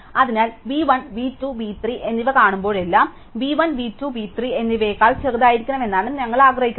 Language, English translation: Malayalam, So, we can say that whenever be see v 1, v 2 and v 3 we want v 1 to be smaller than both v 2 and v 3